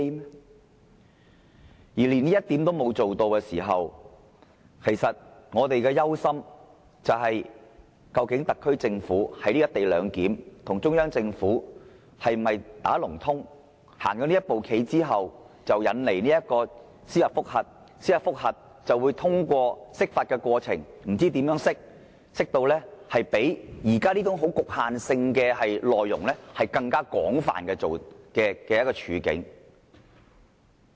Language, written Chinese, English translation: Cantonese, 倘若連這一點都做不到，我們憂心的是，究竟特區政府在"一地兩檢"上是否與中央政府"打龍通"，走了這一步棋後引來司法覆核，藉司法覆核造成釋法的需要，繼而將現時這種非常局限的情況引申至更廣泛的情況。, Will this lead to a crisis? . If this cannot be done we are worried whether the SAR Government will collaborate with the Central Government in respect of the co - location arrangement and make this move so as to incite a judicial review and hence make it necessary for NPCSC to interpret the Basic Law . In so doing it can extend the present restrictive measure to a broader application